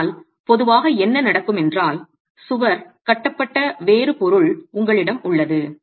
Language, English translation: Tamil, But typically what happens is you have a different material on which the wall is constructed